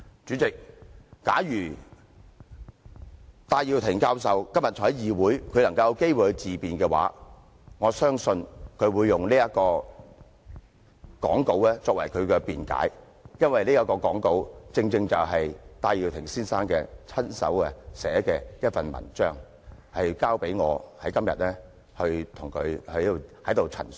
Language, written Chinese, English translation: Cantonese, 主席，假如戴耀廷教授今天在議會內有機會自辯，我相信他會用這份演辭作為他的辯解，因為這份演辭正正是戴耀廷先生的親筆文章，交由我在今天代他陳述。, President if Prof Benny TAI had the chance to speak in his own defence in the legislature today I believe he would use this speech to defend himself because this article is penned by none other than Mr Benny TAI himself and given to me to state his case for him today